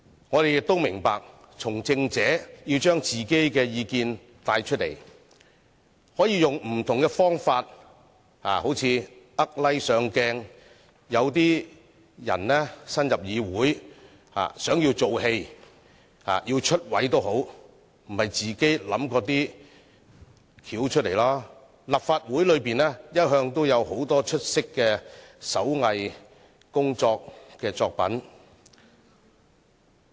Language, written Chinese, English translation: Cantonese, 我們亦明白，從政者為了帶出自己的意見，可以使用不同的方法，例如"呃 like"、"博上鏡"，而有些人新加入議會，由於想"做戲"、想"出位"，便自己想出一些方法，立法會一向也有很多出色的手工藝作品。, This is indeed outrageous . We also understand that politicians may resort to various means to draw peoples attention to their views such as cheating people to get likes from them or exerting themselves to gain exposure in front of camera . In order to put up a show and play to the gallery some new Members of this Council have come up with ways to achieve their purposes just as we always see a lot of brilliant handicraft works in the Legislative Council